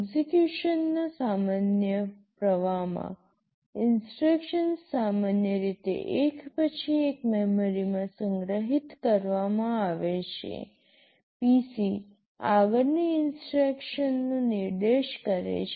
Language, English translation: Gujarati, In the normal flow of execution; the instructions are normally stored one after the other in memory, PC points to the next instruction to be executed